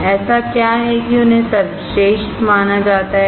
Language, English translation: Hindi, What is it there that they are considered best